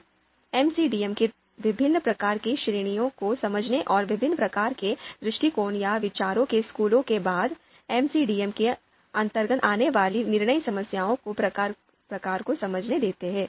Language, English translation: Hindi, Now after having understood different kinds of you know different kinds of categories for MCDM and within that different kinds of you know approaches or schools of thought, let’s understand the type of decision problems that comes under the domain of MCDM